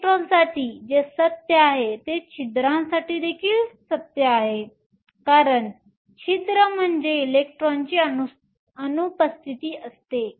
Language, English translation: Marathi, What is true for electrons is also true for holes because a hole is nothing but an absence of an electron